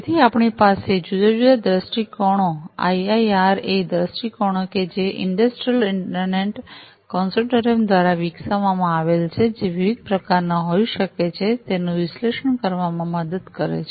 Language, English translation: Gujarati, So, we have these different viewpoints IIRA viewpoints which can help in analyzing the use cases developed by the Industrial Internet Consortium which could be of different types